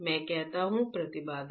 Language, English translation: Hindi, What I say impedance